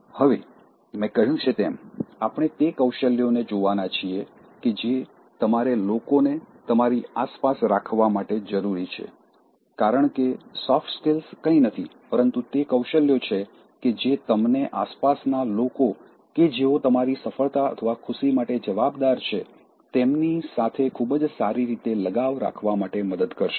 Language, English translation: Gujarati, Now, in this one, as I said, we are going to look at the skills which you need to keep people around you, because soft skills are nothing but, those skills that will help you to have a very good binding with the people around you who are responsible for your success or happiness